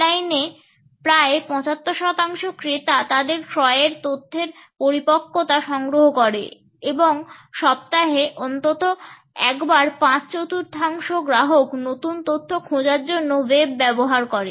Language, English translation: Bengali, Nearly 75 percent of the buyers gather the maturity of their purchasing information online and four fifths of the customers use the web at least once a week to search for new information